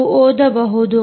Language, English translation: Kannada, you should read it